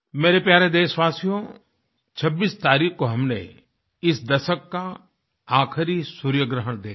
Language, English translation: Hindi, My dear countrymen, on the 26th of this month, we witnessed the last solar eclipse of this decade